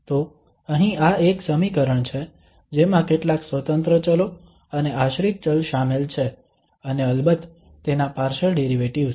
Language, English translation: Gujarati, So here this is an equation which involves several independent variables and a dependent variable and of course, its partial derivatives